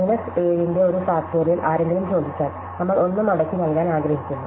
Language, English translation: Malayalam, If somebody asks us for a factorial of minus 7, we will just return 1